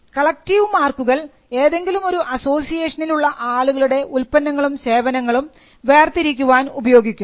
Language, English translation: Malayalam, Collective marks are used for distinguishing goods or services of members of an association of persons